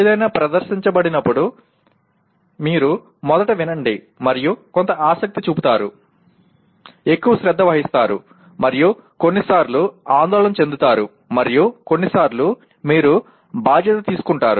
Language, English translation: Telugu, That means when something is presented you will first listen to and show some interest, pay more attention and sometimes concern and sometimes you take a responsibility